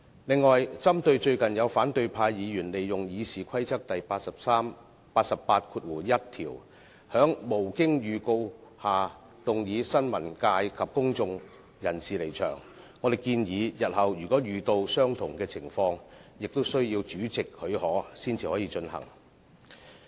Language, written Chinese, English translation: Cantonese, 另外，針對最近有反對派議員利用《議事規則》第881條，在無經預告下動議新聞界及公眾人士離場，我們建議日後如遇相同情況，亦需要主席許可才能提出議案。, Moreover in light of the recent exploitation of RoP 881 by an opposition Member to move a motion without notice that members of the press and of the public do withdraw we propose that the consent of the President shall be required for such motion to be moved in future